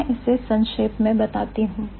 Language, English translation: Hindi, So, let me summarize